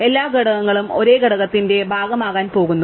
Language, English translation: Malayalam, All the elements are going to become part in the same component